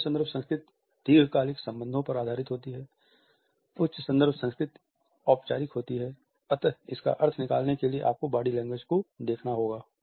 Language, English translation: Hindi, High context culture is based on long term relationships, high context is formal and implies meaning and you have to look for the body language